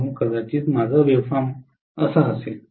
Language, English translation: Marathi, So originally maybe my wave form was like this